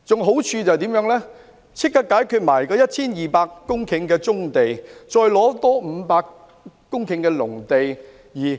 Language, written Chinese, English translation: Cantonese, 好處是立即解決了 1,200 公頃棕地的問題，還可以再有500公頃農地。, The merit is that the problem of 1 200 hectares of brownfield sites can be resolved immediately and there can also be 500 hectares of agricultural land